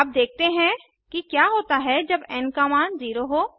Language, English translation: Hindi, Now let us see what happens when the value of n is 0